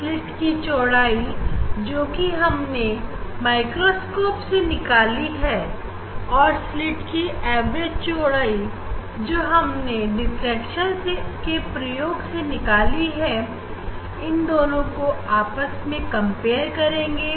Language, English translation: Hindi, that width of the slit from the microscope measurement, this mean value of a we will get and from experimental diffraction experiment we will get; this we can compare